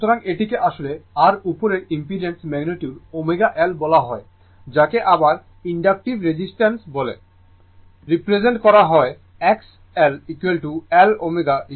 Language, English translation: Bengali, So, this is actually your what you call the magnitude of the above impedance is omega L is called inductive reactance I represented by X L is equal to L omega is equal to 2 pi f into L